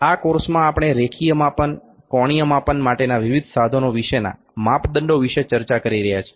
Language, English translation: Gujarati, In this course we are discussing about the measurements about the various instruments for linear measurements, angular measurements